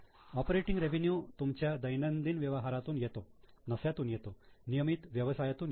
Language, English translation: Marathi, Operating revenue comes from your day to day business, from your profits, from your regular business